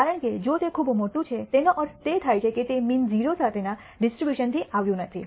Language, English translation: Gujarati, because if it is very large it means it does not come from a distribution with mean 0